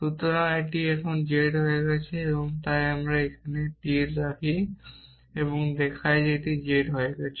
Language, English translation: Bengali, So, this is become z now, so let me put an arrow here and show that this is become z